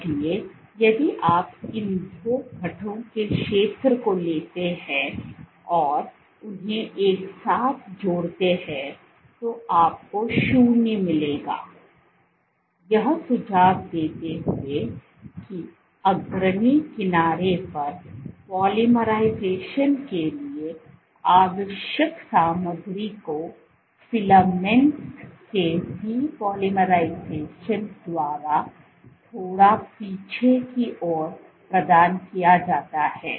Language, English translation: Hindi, So, if you take the area of these two curves and sum them together you will get 0, suggesting that the material required for polymerization at the leading edge is provided by the depolymerization of filaments slightly backward